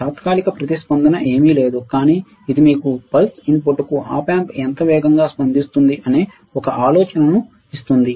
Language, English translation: Telugu, Transient response is nothing, but this gives you an idea of how fast the Op amp will response to the pulse input